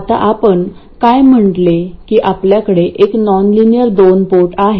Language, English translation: Marathi, We have a nonlinear 2 port